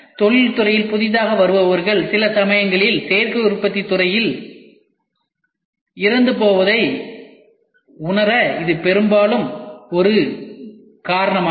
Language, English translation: Tamil, Often this is one reason why newcomers to the industry in particular sometimes feel lost in the field of Additive Manufacturing